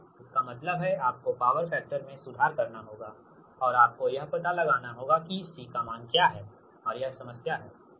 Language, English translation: Hindi, that means you have to improve the power factor and you have to find out what is the value of c, and that is the problem